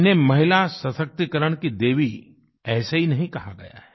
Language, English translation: Hindi, She has not been hailed as Goddess of women empowerment just for nothing